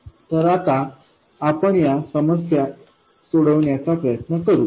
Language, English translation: Marathi, So, now we will try to solve these problems